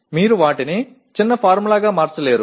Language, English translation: Telugu, You cannot convert them into a short formula